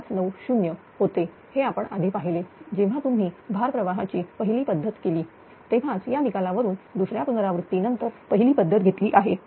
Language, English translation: Marathi, 96590; this we have seen it, when you are doing the load flow method of the first method right only from this results are taking from the first method after second iteration